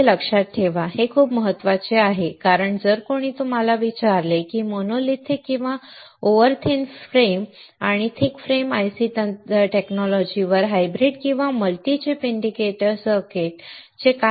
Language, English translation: Marathi, Remember these points, it is very important because if somebody ask you, what are the advantaged of hybrid or multi chip indicator circuits over monolithic or over thin frame and thick frame IC technology, you must be able to tell it